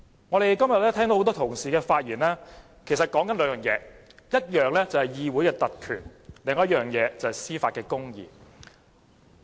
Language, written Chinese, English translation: Cantonese, 我今天聽了很多同事的發言，主要關乎兩件事，一件事是議會特權，另一件事是司法公義。, Most of the Members spoken today focus on two issues . The first is parliamentary privilege and the other is judicial justice